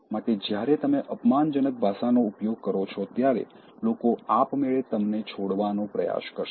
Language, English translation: Gujarati, So, when you use abusive language, people will automatically try to leave you